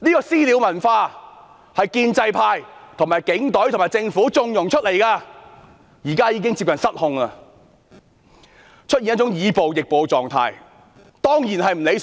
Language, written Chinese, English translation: Cantonese, "私了"文化是在建制派、警隊和政府縱容下衍生的，現在已接近失控，更出現以暴易暴的情況，這樣當然不理想。, The culture of vigilantism was generated under the connivance of the pro - establishment camp the Police Force and the Government . It is now almost out of control and has evolved into using violence to replace violence . This is certainly undesirable